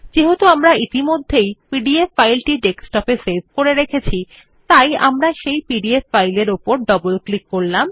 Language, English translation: Bengali, Since we have already saved the pdf file on the desktop, we will double click on the pdf file